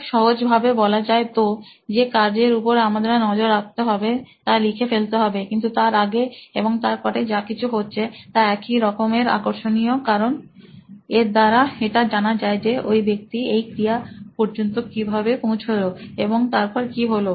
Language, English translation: Bengali, So just to be very simple write down the activity that they are trying to map, so what happens before and after is also equally interesting because you want to find out how this person got around to doing this activity and what happens after the activity is done